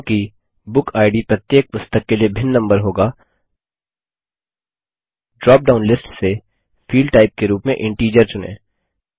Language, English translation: Hindi, Since the BookId will be a different number for each book, select Integer as the Field Type from the dropdown list